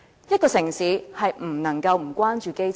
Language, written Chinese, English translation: Cantonese, 一個城市不能不關注基層。, No city can possibly ignore the grassroots